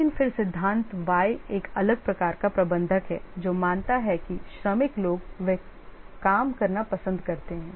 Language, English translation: Hindi, But then the theory why is a different type of manager who assumes that workers they love to work